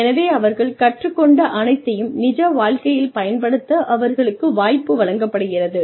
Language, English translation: Tamil, So, that is, they are given a chance to apply, whatever they have learned, to real life